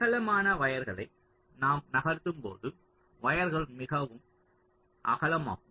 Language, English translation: Tamil, so as we move up, the width of the wires also will be getting wider and wider